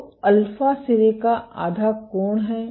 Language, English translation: Hindi, So, alpha is the tip half angle